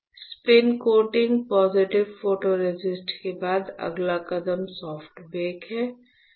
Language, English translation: Hindi, After spin coating positive photoresist next step is soft bake